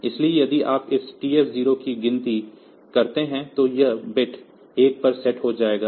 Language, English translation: Hindi, So, if you monitor this TF 1 this TF 1 bit will be set to 1